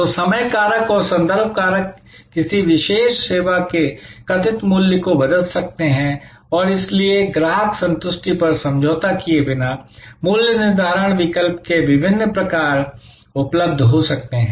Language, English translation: Hindi, So, the time factor and the contextual factors can change the perceived value of a particular service and therefore, different sort of pricing alternatives can become available without compromising on customer satisfaction